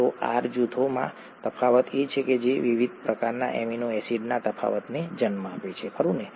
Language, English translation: Gujarati, So differences in the R groups are what is, what gives rise to the differences in the various types of amino acids, right